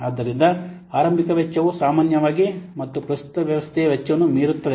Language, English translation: Kannada, So the initial cost, normally it will exceed than that of the cost of the current system